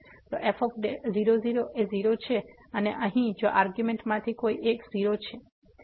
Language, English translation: Gujarati, So, is 0 and here if one of the argument is 0